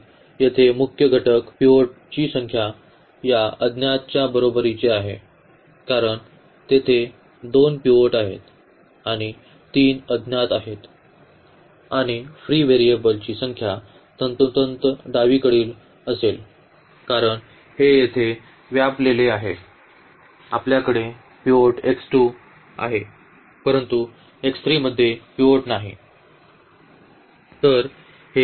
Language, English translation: Marathi, So, here the number of pivots in a less than is equal to number of unknowns because there are two pivots and there are three unknowns and the number of free variables will be precisely the left one because this is occupied here we have pivot x 2 has a pivot, but x 3 does not have a pivot